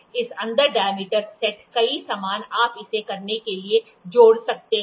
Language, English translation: Hindi, This inside diameter set has a several accessories you can add to it